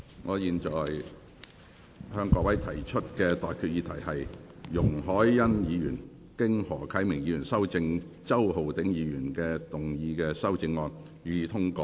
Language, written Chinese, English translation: Cantonese, 我現在向各位提出的待議議題是：容海恩議員就經何啟明議員修正的周浩鼎議員議案動議的修正案，予以通過。, I now propose the question to you and that is That Ms YUNG Hoi - yans amendment to Mr Holden CHOWs motion as amended by Mr HO Kai - ming be passed